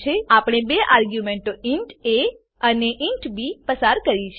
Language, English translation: Gujarati, We have passed two arguments int a and int b